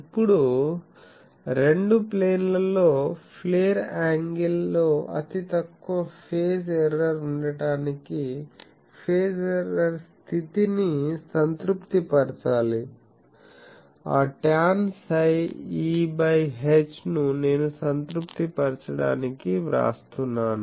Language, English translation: Telugu, Now, in order to have a negligible phase error in the flare angle in both plane should satisfy the phase error condition, that tan psi E for H I am writing to all this to be together satisfied